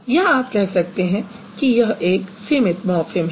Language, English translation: Hindi, It would be considered as a free morphem